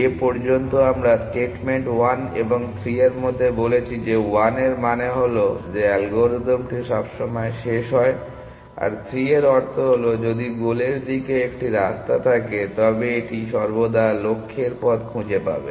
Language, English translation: Bengali, So far we have said between statements 1 and 3 1 means said that the algorithm always terminate; in 3 means said if there is a path to the goal it will always find the path to the goal